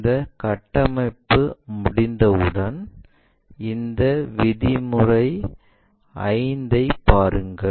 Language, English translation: Tamil, Once these construction is done, look at this step 5